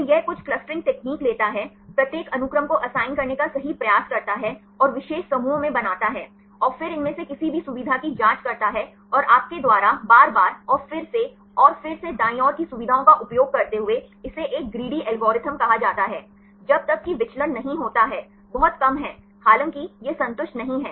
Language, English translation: Hindi, So, it takes some clustering technique, right try to assign each sequence, and making into particular clusters and then check any of these features and using the features you try again and again and again right, this is called a greedy algorithm, unless the deviation is very less, even though it is not satisfied